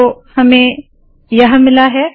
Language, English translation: Hindi, So lets do that